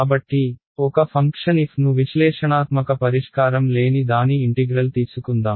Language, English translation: Telugu, So, let us take a function f which has no analytical solution for its integral ok